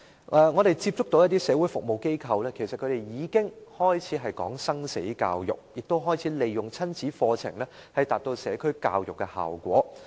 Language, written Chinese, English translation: Cantonese, 我們曾接觸一些社會服務機構，他們已開始談生死教育，亦開始利用親子課程，以達致社區教育的效果。, We have had contact with some social service organizations and they have started to talk about life and death education and they have made use of parent - child programmes to achieve the objective of community education